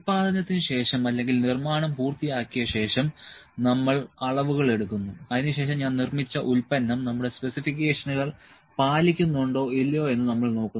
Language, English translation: Malayalam, And after the production is done or the manufacturing is done and we do the measurements after that then we see that whether the product, which I have produced meet our specifications or not